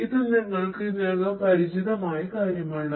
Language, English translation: Malayalam, So, this is something that you are already familiar with